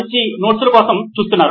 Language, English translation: Telugu, Looking for better notes